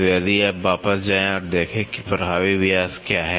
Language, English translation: Hindi, So, if you go back and see what is the effective diameter